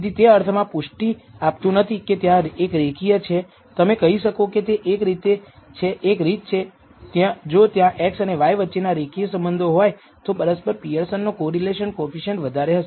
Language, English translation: Gujarati, So, it is not con rmatory in the sense there is a linear you can say it is one way if there is a linear relationship between x and y then the correlation Pearson’s correlation coefficient will be high